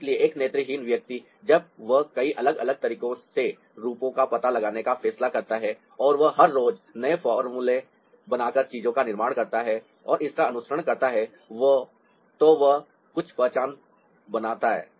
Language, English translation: Hindi, so a visually literate person, when he decides to ah explore forms in many different ways and he creates things ah by creating new formula everyday and following it ah, he makes some mark, and that's how we get into art